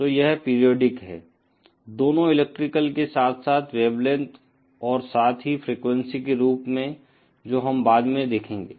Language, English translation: Hindi, So, it is periodic, both in electrical as well as wavelength and as well as frequency as we shall see later